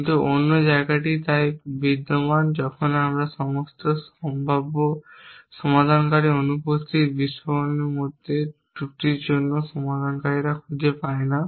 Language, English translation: Bengali, But the other place so exist is when we cannot find the resolver for flaw between is exploding all possible resolver in missing